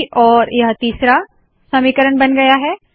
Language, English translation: Hindi, Now this has become the third equation